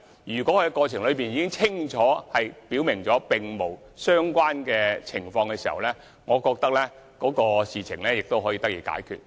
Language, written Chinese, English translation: Cantonese, 如果他們已清楚表明並無相關情況，我認為事情便應可得以解決。, If our colleagues clearly state that the conditions do not exist I think the matter should then be resolved